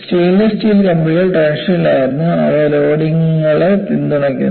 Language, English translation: Malayalam, The stainless steel rods were in tension, they were supporting loads